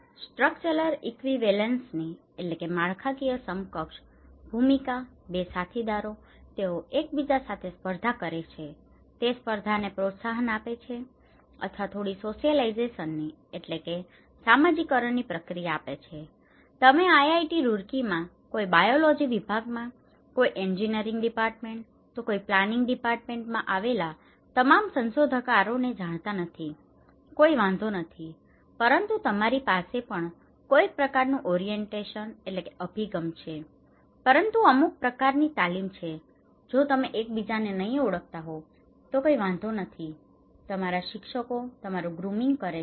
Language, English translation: Gujarati, The role of structural equivalence, it promotes competition, 2 colleagues, they are competing with each other or it kind of gives you some socialization process, you do not know your researchers in IIT Roorkee, does not matter, somebody in biology department, somebody in engineering department, somebody in a planning department but you have some kind of orientation, some kind of training, it does not matter if you do not know each other, your teachers grooming you